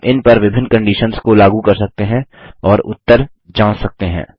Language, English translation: Hindi, We can apply different conditions on them and check the results